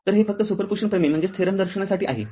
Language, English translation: Marathi, So, it is just to show you the super position theorem